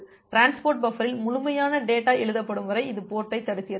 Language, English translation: Tamil, So, it blocks the port until the complete data is written in the transport buffer